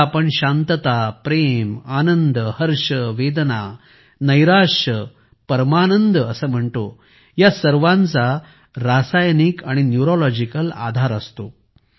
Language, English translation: Marathi, What we call as peace, love, joy, blissfulness, agony, depression, ecstasies all have a chemical and neurological basis